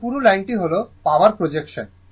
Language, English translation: Bengali, This thick line is the power expression